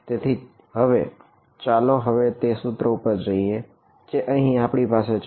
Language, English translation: Gujarati, So now, let us go back to this equation that we have over here